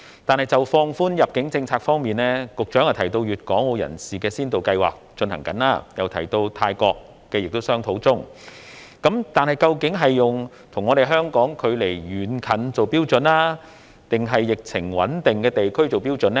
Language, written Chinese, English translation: Cantonese, 但是，就放寬入境政策方面，局長提到粵港澳人士的先導計劃正在進行，亦提到與泰國也在商討中，但是，究竟是用與香港距離遠近為標準，還是疫情穩定的地區為標準呢？, However with regards to relaxing the policy concerning the quarantine of arrivals the Secretary has just mentioned that a pilot scheme was established to facilitate people who needed to travel between Guangdong and Hong Kong or between Hong Kong and Macao . He has also mentioned that negotiation with Thailand was being carried out . However what is the Governments yardstick?